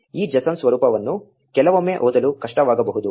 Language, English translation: Kannada, This json format can be hard to read sometimes